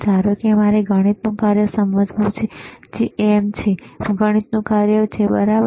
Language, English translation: Gujarati, Suppose I want to understand the math function, which is see MM, is the math function right